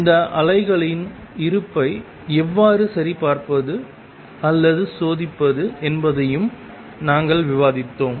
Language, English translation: Tamil, And we have also discussed how to check or test for the existence of these waves